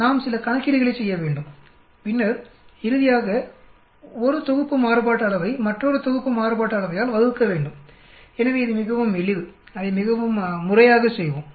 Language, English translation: Tamil, We need to do some calculation and then finally divide 1 set of variance with the another set of variance, so it is quite simple, let us do it very systematically